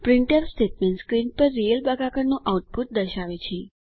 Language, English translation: Gujarati, The printf statement displays the output of real division on the screen